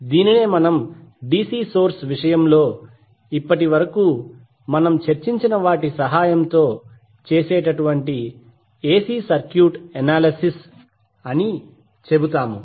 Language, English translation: Telugu, So we will say that the AC circuit analysis with the help of what we discussed till now in case of DC source